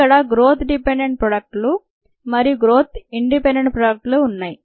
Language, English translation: Telugu, ok, there are growth dependent ah products and growth independent products